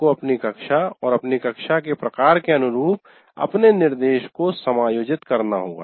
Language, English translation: Hindi, And now you will have to adjust your instruction to suit your class, the kind of, or the composition of your class